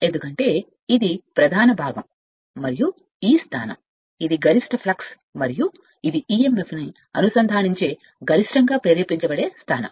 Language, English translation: Telugu, Because this is the main portion and this is the position right this is the position that where the maximum that these will link the maximum flux and emf will be induced maximum right